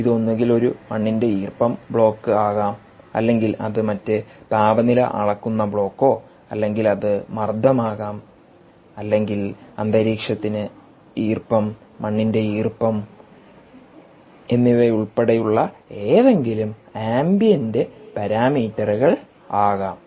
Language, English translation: Malayalam, ok, it could either be a soil moisture block or it could be other ambient temperature measurement block, ambient temperature, or it could be pressure, it could be humidity or any one of the ambient parameters, including moist soil moisture